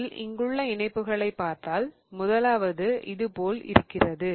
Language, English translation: Tamil, So, if you look at the attachments here, the first one looks like this